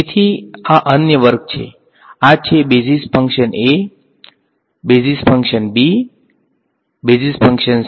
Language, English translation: Gujarati, So, these are another class so this is so, this is basis function a, basis function b, basis function c